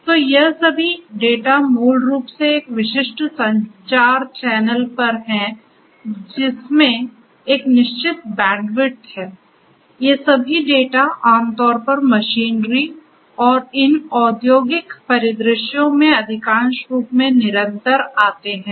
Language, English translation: Hindi, So, the all this data are basically over a specific communication channel which has a fixed bandwidth, all these data continuously typically for most of these industrial scenarios and the machinery